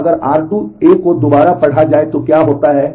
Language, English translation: Hindi, So, what happens if r 2 A is read Again 200 is read